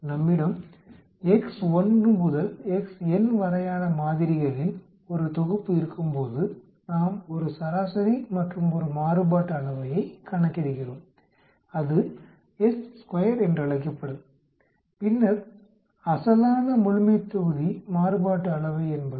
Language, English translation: Tamil, When we have a set of samples x1 to xn we are calculating a mean and a variance, that will called it s square and then the original the population variance is sigma square